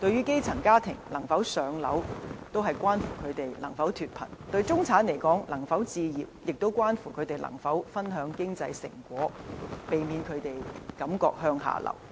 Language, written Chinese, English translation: Cantonese, 基層家庭能否"上樓"，關乎他們能否脫貧；對中產而言，能否置業，也關乎他們能否分享經濟成果，避免他們感覺向下流。, Whether the grass - roots households can be allocated public housing will decide whether they can escape poverty; to the middle class whether they can share the fruit of economic development depends on whether they can hold a property so that they will not feel like they are slipping down the social ladder